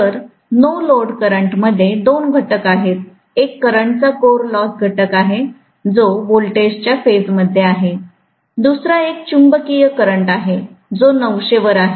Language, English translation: Marathi, So, the no load current has two components, one is core loss component of current, which is in phase with the voltage, the other one is the magnetising current, which is at 90 degree